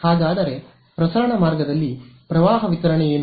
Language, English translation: Kannada, So, what is the current distribution on a transmission line